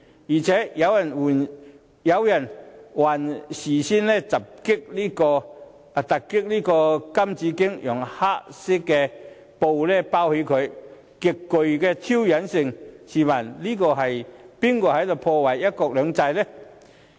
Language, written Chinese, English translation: Cantonese, 而且，有人更事先突襲金紫荊廣場，以黑布蓋着金紫荊銅像，極具挑釁意味，試問是誰在破壞"一國兩制"？, Moreover some people even raided the Golden Bauhinia Square before 1 July and covered the statue of the golden bauhinia with a piece of black cloth which was highly provocative . Who is actually jeopardizing one country two systems?